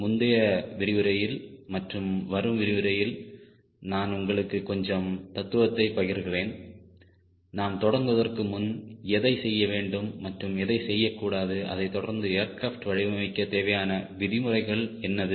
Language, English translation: Tamil, in the last lecture, and also in coming few lectures, i will be just sharing few philosophy, few do's and don'ts before we start rigorously following a procedure to design an aircraft